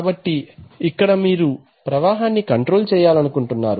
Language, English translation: Telugu, So what you want to control here is flow let us see